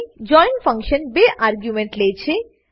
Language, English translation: Gujarati, join function takes 2 arguments